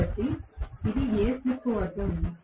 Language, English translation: Telugu, So, this is at what slip